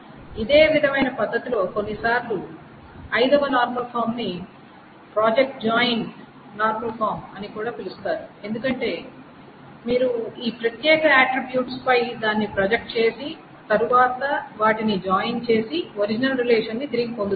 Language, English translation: Telugu, The fifth normal form is also sometimes called project join normal form because essentially it says that once you join, once you project it out on this particular attributes and join it you get back the original relation